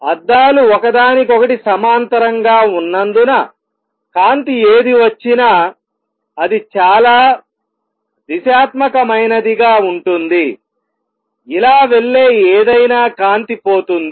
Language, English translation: Telugu, Since the mirrors are parallel to each other whatever light comes out is going to be highly directional, any light that goes like this is going to be lost